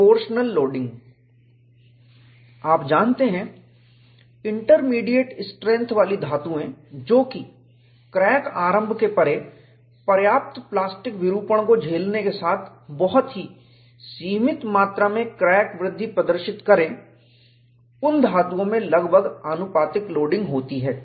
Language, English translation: Hindi, You know, in intermediate strength metals, that can withstand substantial plastic deformation beyond crack initiation while exhibiting very limited amounts of crack growth, nearly proportional loading occurs